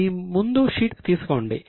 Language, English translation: Telugu, Take the sheet in front of you